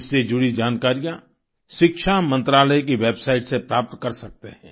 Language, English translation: Hindi, Information about this can be accessed from the website of the Ministry of Education